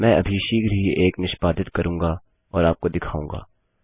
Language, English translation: Hindi, Ill execute one shortly and show you So, let us start